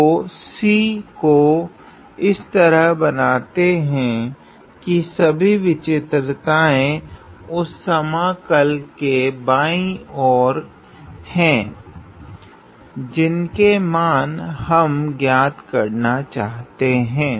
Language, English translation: Hindi, So, draw C such that all singularities lie to the left of the integral that we are trying to evaluate